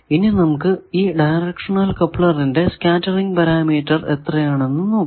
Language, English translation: Malayalam, Now, let us find what is the scattering parameter of this directional coupler